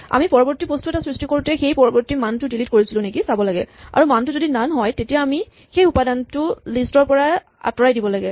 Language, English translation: Assamese, We have to just check when we create the next thing if we delete the next value and it is value becomes none then we should remove that item from the list